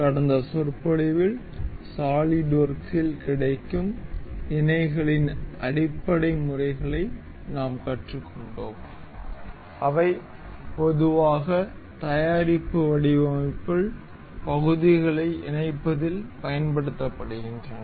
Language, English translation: Tamil, In the last lecture, we have learnt the basic elementary methods of mating that are available in solidworks that are generally used in assembling the parts in product design